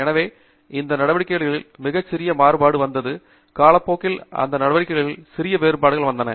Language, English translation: Tamil, And so, there is very little variability in that activity, little variations in that activity over a period of time